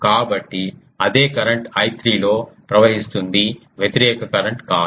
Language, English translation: Telugu, So, not opposite the same current is flowing in I 3